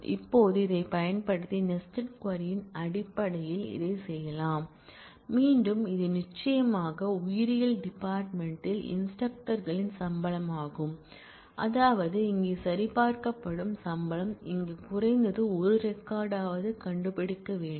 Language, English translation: Tamil, Now, we can do this in terms of the nested query by using, again this is certainly the salary of instructors in biology department and we are doing greater than sum; that means, that the salary here being checked must find at least one record here